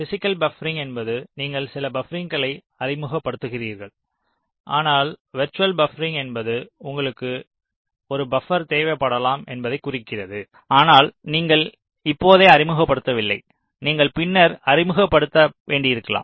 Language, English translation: Tamil, physical buffering means you introduce some buffers, or virtual buffering means you indicate that here you may require a buffer, but you do not introduce right away, you may need to introduce later